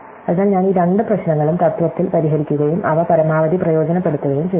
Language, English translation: Malayalam, So, therefore, I solve both of these problems in principle and take their maximum, the better of them